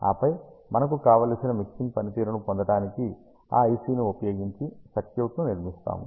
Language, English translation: Telugu, And then, you build a circuit around that IC to get the desire mixing performance